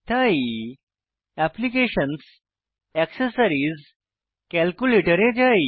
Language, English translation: Bengali, So lets go to Applications, Accessories, Calculator